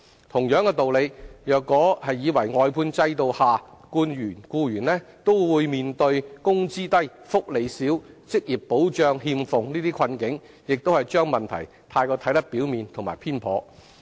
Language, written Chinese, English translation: Cantonese, 同樣道理，如以為外判制度下僱員均面對"工資低、福利少、職業保障欠奉"等困境，亦是將問題看得過於表面和偏頗。, By the same token if we think that all employees under the outsourcing system face such plights of low wages little benefits and a lack of job security such views on the issues are also way too biased and superficial